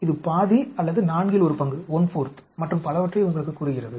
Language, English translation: Tamil, This tells you whether it is half or one fourth and so on